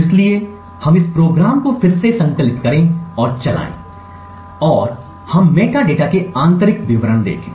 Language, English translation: Hindi, So, let us compile and run this program again and we see the internal details of the metadata